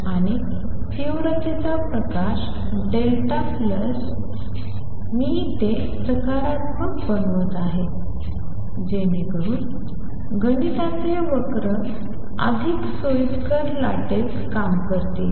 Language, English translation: Marathi, And light of intensity I plus delta I, I am taking it to be positive so that mathematics curves work out in more convenient wave